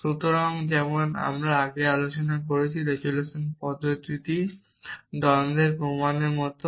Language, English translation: Bengali, So, as we discussed earlier the resolution method is like a proof for contradiction